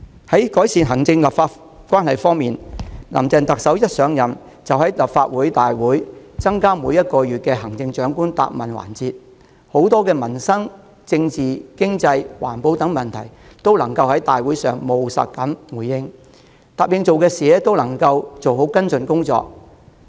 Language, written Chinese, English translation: Cantonese, 在改善行政立法關係方面，林鄭特首一上任即在立法會大會增設每月的行政長官質詢時間，就民生、政治、經濟、環保等眾多問題作出務實回應，並按照承諾做好跟進工作。, On improving the relationship between the executive and the legislature the Chief Executive introduced an additional monthly session of the Chief Executives Question Time in this Council as soon as she took office giving responses pragmatically on issues ranging from peoples livelihood and politics to the economy and environmental protection while carrying out follow - ups properly as pledged